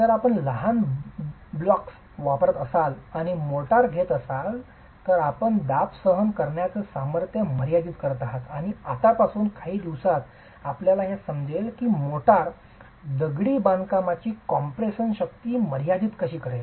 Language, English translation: Marathi, If you use small blocks and have motor, you are going to be limiting the compressive strength and this is something you will understand in a few days from now how the motor is going to be limiting the compressive strength of masonry